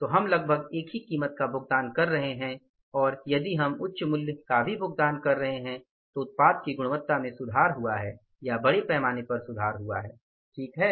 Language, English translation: Hindi, So we are almost paying the same price and if we are paying the higher price also the quality of the product has seriously improved or largely improved, right